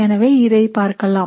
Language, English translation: Tamil, So let us look at this case